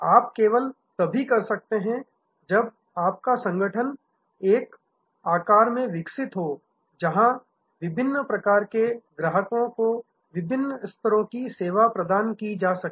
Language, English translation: Hindi, You can only do that when your organization is also grown to a size, where different types of customers can be handled with different levels of service